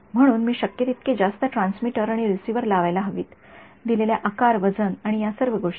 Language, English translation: Marathi, So, I should put as many transmitters and receivers as is possible given size, weight and all of these things ok